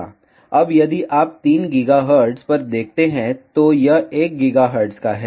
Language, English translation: Hindi, Now, if you see at 3 gigahertz, it is thrice of the 1 gigahertz